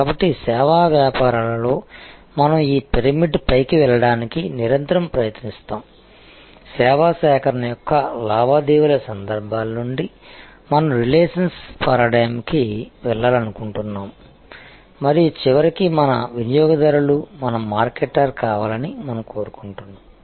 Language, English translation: Telugu, So, this we have already discussed that in services businesses we constantly try to go up this pyramid that from transactional instances of service procurement, we want to go to relational paradigm and ultimately we want our customer to become our marketer